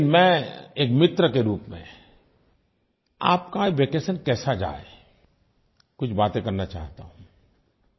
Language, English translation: Hindi, But as a friend, I want to suggest you certain tips about of how to utilize your vacation